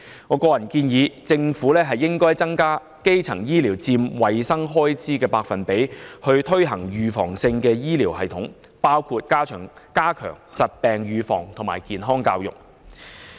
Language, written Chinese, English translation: Cantonese, 我個人建議政府增加基層醫療佔衞生開支總額的百分比，建立預防性醫療系統，包括加強疾病預防及健康教育。, I personally suggest that the Government should increase the percentage of primary healthcare in the total health expenditure and establish a preventive healthcare system including stepping up disease prevention efforts and enhancing health education